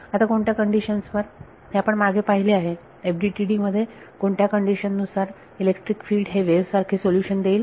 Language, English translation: Marathi, Now uh under what conditions, so we have looked at this before under what conditions will the electric field be a wave like solution in FDTD